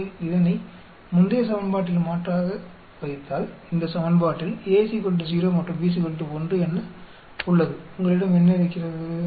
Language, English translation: Tamil, If you substitute that in the previous equation, in this equation A is equal to 0 and B is equal to 1